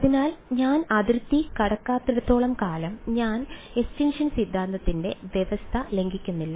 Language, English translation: Malayalam, So, as long as I do not go across the boundary I am not violating the condition of extinction theorem right